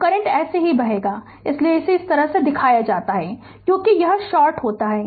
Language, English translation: Hindi, So, current will flow like this so, that is why that is why this is shown like this because it is shorted